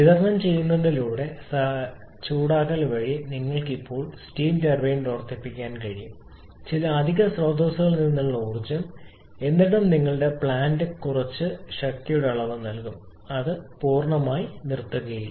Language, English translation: Malayalam, You can still run the steam turbine by auxiliary heating by supplying energy from some additional source and Still your Plant will be giving some reduce quantity of power